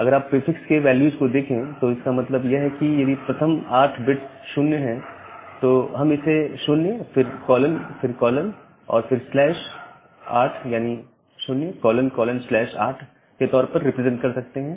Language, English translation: Hindi, So, if you look into the prefix values; that means, if the first 8 bits are 0’s we can represent it as 0 then colon colon slash 8